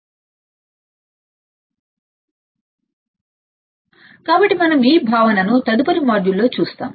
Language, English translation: Telugu, So, we will see this concept in the next module